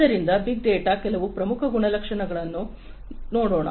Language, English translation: Kannada, So, let us look at some of the key attributes of big data